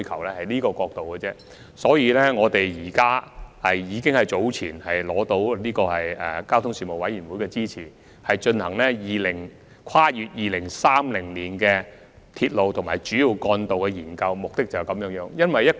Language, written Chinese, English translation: Cantonese, 為了試圖從這個角度出發，我們早前諮詢交通事務委員會並獲得其支持，以進行《跨越2030年的鐵路及主要幹道策略性研究》。, This exactly was our objective when we consulted the Panel on Transport earlier and secured its support for undertaking the Strategic Studies on Railways and Major Roads beyond 2030